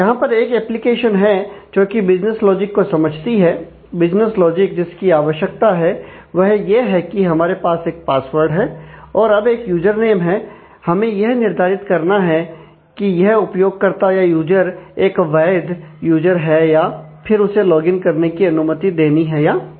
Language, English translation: Hindi, So, at this there is an application which, deciphers the business logic which says that, business logic required here is we have a password and we have a user names now, we have to decide whether this user is a valid user and whether, he or she can be allowed to login